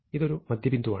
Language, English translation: Malayalam, So, this is a midpoint